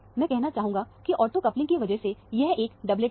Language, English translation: Hindi, I would say, this is a doublet, because of ortho coupling